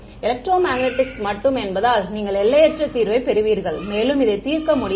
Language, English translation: Tamil, Because just electromagnetics alone, you get infinite solution you cannot solve any further